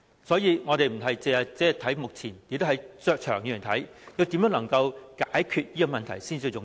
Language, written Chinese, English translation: Cantonese, 所以，我們不只是看目前，而是長遠來看，我們如何能夠解決這問題才是最重要。, As such we should not focus on the present only; instead we have to consider the longer term . The key is how we can resolve this problem